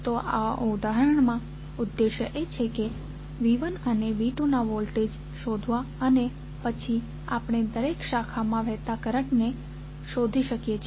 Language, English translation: Gujarati, So, in this case the objective is to find the voltages of V 1 and V 2, when we get these values V 1 and V 2